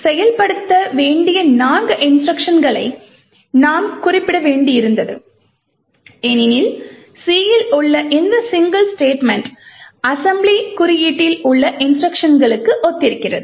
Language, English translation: Tamil, So, we had to specify four instructions to be executed because this single statement in C corresponds to four instructions in the assembly code